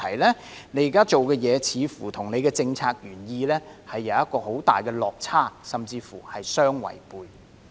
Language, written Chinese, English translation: Cantonese, 他現時做的工作似乎與政策原意有很大的落差，甚至乎是相違背。, It seems that what he is doing at present is very different from and even runs contrary to the policy intent